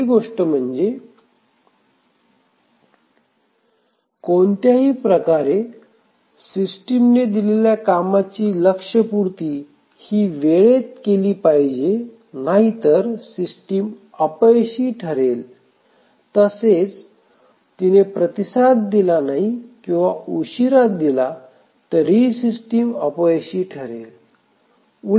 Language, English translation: Marathi, So, the first thing is that it somehow has to make the tasks meet their deadlines otherwise the system will fail, if the response is late then the system will fail